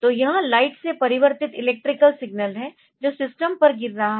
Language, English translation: Hindi, So, this is the electrical signal converted for of the light that is falling on to the system ok